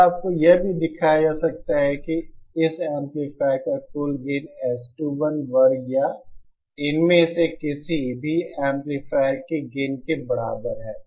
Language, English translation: Hindi, And you can also be shown that the total gain of this amplifier is equal to the S 1 square or the gain of any of these amplifiers